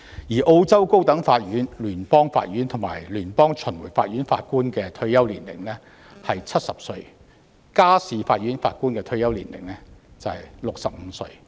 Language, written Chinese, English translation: Cantonese, 此外，澳洲高等法院、聯邦法院和聯邦巡迴法院法官的退休年齡為70歲，而家事法院法官的退休年齡則為65歲。, Moreover the retirement age is 70 for Judges of the High Court the Federal Court and the Federal Circuit Court and 65 for Judges of the Family Court in Australia